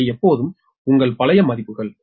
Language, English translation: Tamil, these are always your old values, right